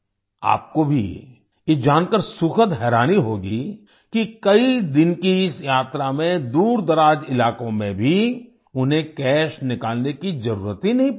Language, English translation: Hindi, You will also be pleasantly surprised to know that in this journey of spanning several days, they did not need to withdraw cash even in remote areas